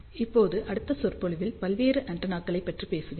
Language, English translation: Tamil, Now, in the next lecture, I will talk about various antennas